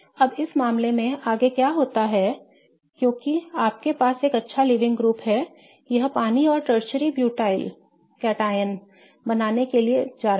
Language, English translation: Hindi, Now in this case what happens next is that since you have a good leaving group it is going to leave creating water and tertiary butyl katyan